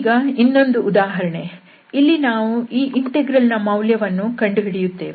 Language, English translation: Kannada, Now another problem so we will evaluate this integral